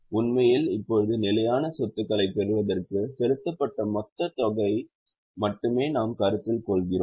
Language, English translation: Tamil, In fact now we are only concerned with the total amount which is either received or paid for fixed assets